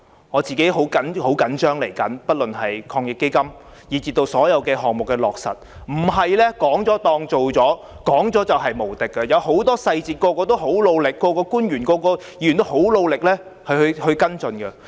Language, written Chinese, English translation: Cantonese, 我很着緊接下來不論是防疫抗疫基金措施或所有其他項目的落實，不是說了當做了，說了便無敵，有很多細節，每個人、官員和議員都很努力跟進。, I am very concerned about the ensuing implementation of the measures under AEF and all the other projects or schemes . Words cannot be used to substitute actions and words are not invincible for there are many details and every one of us including officials and Members are all making great efforts to follow them up